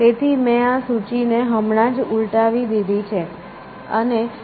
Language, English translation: Gujarati, So, I have just reversed this list, and return it as a path